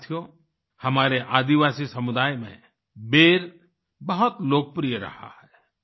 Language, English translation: Hindi, Friends, in our tribal communities, Ber fruit has always been very popular